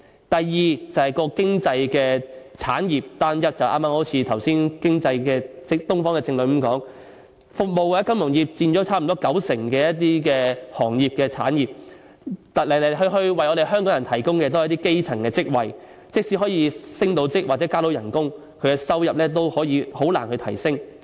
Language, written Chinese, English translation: Cantonese, 第二是經濟產業單一，一如剛才《東方日報》的政論所說，服務或金融業佔了差不多九成行業和產業，來來去去為香港人提供的都是基層職位，即使可以升職或加薪，收入仍然難以提升。, Second it is due to uniform economic industries . As the political commentaries from Oriental Daily News said service or financial industries account for nearly 90 % of the trades and industries where a majority of the jobs provided to Hong Kong people are elementary posts . Even if there is promotion or pay rise it is still difficult to raise the income level